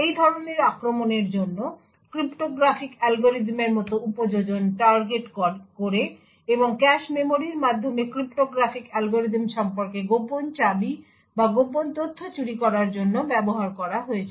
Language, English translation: Bengali, For these forms of attacks target application such as cryptographic algorithms and have been used to steal secret keys or secret information about the cryptographic algorithm through the cache memory